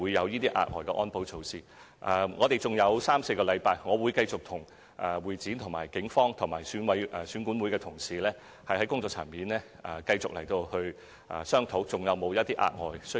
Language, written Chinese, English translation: Cantonese, 現在距離選舉還有三四個星期，我會繼續跟會展、警方和選管會的同事在工作層面商討，研究是否還要採取額外安保和保密措施。, There are still three or four weeks to go before the Chief Executive Election and I will continue to hold working - level discussions with HKCEC the Police and EAC so as to ascertain if any further security and confidentiality measures are required